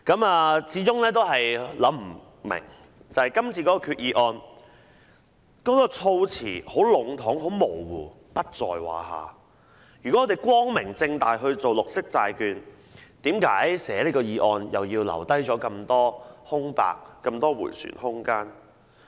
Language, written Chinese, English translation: Cantonese, 我始終想不明為何今次的決議案措辭如何籠統模糊，如果政府光明正大推行綠色債券，為何這項決議案要留下這麼多空白和迴旋空間呢？, Yet I still do not understand why this Resolution uses such vague wording . If the Government intends to implement green bonds in an open and aboveboard manner why should there be so many blanks and so much manoeuvre room in the Resolution?